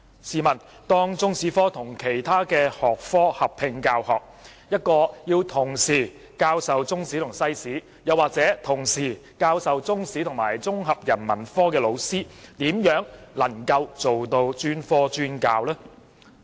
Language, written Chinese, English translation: Cantonese, 試問當中史科與其他學科合併教學，一位要同時教授中史和西史，或同時教授中史及綜合人文科的老師，怎能夠做到專科專教呢？, If Chinese History is combined with other subjects may I ask how can a teacher who has to teach Chinese History and World History or who has to teach Chinese History and Integrated Humanities subject achieve specialized teaching?